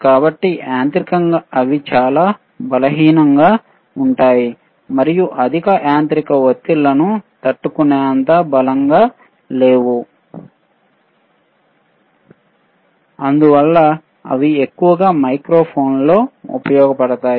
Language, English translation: Telugu, So, mechanically they are very weak and not strong enough to withstand higher mechanical pressures, thatwhich is why they are mostly used in microphones, you see